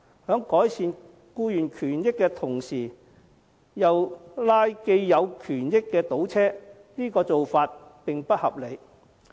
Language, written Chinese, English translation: Cantonese, 在改善僱員權益的同時又拉既有權益的倒車，這種做法並不合理。, Improving employees rights and benefits while undermining those that already exist is not a reasonable approach